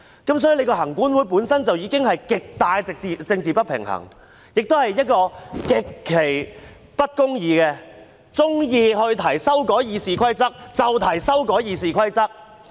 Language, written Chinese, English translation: Cantonese, 因此，行管會本身已經存在極大政治不平衡，也是極其不公義的，它喜歡提出修改《議事規則》，便提出修改《議事規則》。, Therefore the political imbalance in the Legislative Council Commission itself is already very great and also extremely unjust . It can put forward proposals to amend the Rules of Procedure RoP whenever it likes